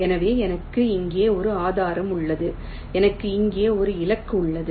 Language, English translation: Tamil, let say i have a source here, i have a target here